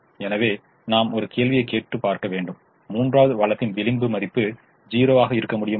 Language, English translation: Tamil, so we have to ask a question: can the marginal value of the third resource be zero